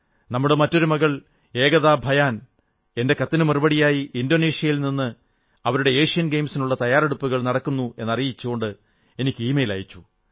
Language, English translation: Malayalam, Ekta Bhyan, another daughter of the country, in response to my letter, has emailed me from Indonesia, where she is now preparing for the Asian Games